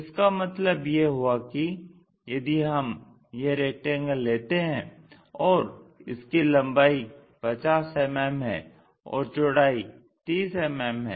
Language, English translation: Hindi, That means, if we are taking this one as the rectangle, let us consider it has maybe 50 mm on one side, 30 mm on one side